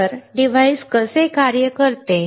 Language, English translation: Marathi, So, how does a device work